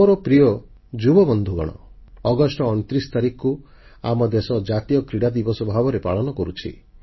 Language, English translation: Odia, My dear young friends, the country celebrates National Sports Day on the 29th of August